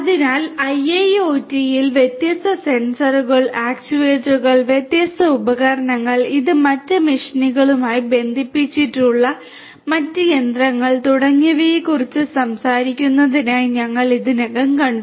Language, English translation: Malayalam, So, we already saw that in IIoT we are talking about scenarios where there are large numbers of different sensors, actuators, different devices, other machinery attached to these different other machinery and so on